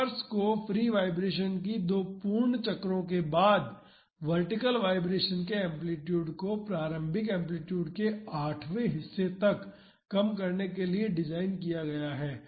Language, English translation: Hindi, The dampers are designed to reduce the amplitude of vertical vibration to one eighth of the initial amplitude after two complete cycles of free vibration